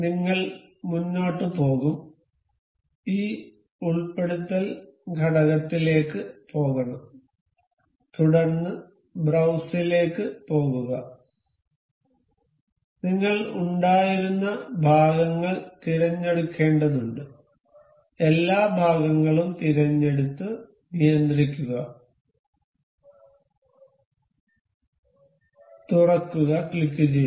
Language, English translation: Malayalam, We will go on we have to go on this insert component then go to browse, we have to select the parts we have been we will control select all the parts and click open